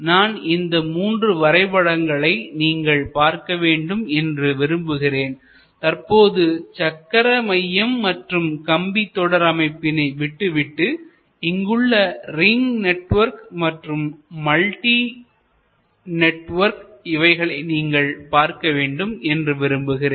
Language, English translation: Tamil, And I would like you to see these three diagrams rather leave aside, this traditional hub and spoke, but look at these two networks, the ring network and the multi network